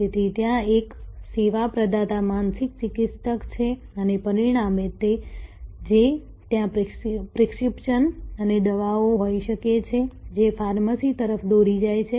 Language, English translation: Gujarati, So, there is a service provider is a mental therapist and as a result of, which there can be prescription and drugs leading to pharmacy